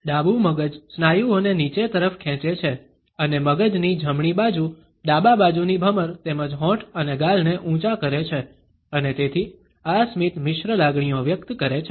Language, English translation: Gujarati, The left brain pulls the muscles downwards and the right side of the brain raises the left hand side eyebrows as well as the lips and cheeks and therefore, this smile expresses mixed emotions